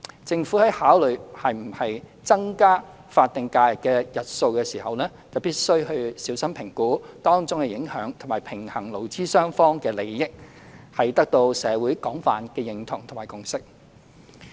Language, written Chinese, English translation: Cantonese, 政府在考慮是否增加法定假日的日數時，必須小心評估當中影響及平衡勞資雙方的利益，取得社會廣泛的認同及共識。, When considering whether the number of statutory holidays should be increased the Government must carefully assess the impact and strike the balance between the interests of both employers and employees so that the proposal will be widely accepted by society and a consensus fostered